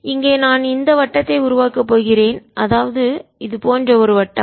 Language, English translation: Tamil, so i will make this circle is one circle like this